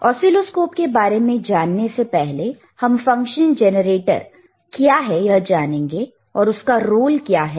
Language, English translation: Hindi, But before we move to oscilloscopes, let us first understand what is the function generator is, and what is the role of function generator is, all right